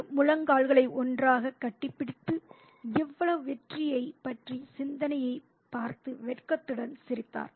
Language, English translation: Tamil, He hugged his knees together and smiled to himself almost shyly at the thought of so much victory, such laurels